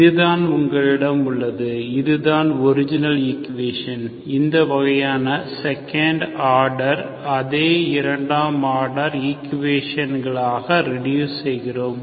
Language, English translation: Tamil, So this is what you have, this is the original equation that we reduce into this kind of second order, same second order equation